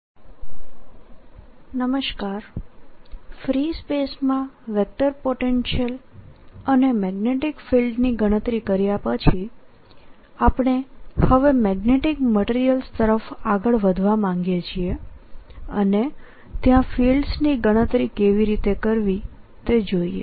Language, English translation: Gujarati, having calculated ah vector potential and magnetic field in free space, we now want to move on to magnetic materials and see how to calculate fields there